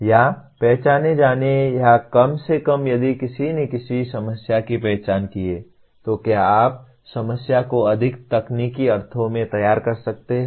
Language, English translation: Hindi, Or having identified or at least if somebody has identified a problem, can you formulate the problem in a more technical sense